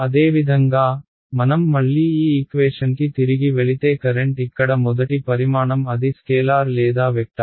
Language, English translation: Telugu, Similarly, the current if I again go back to this equation the first quantity over here is it a scalar or a vector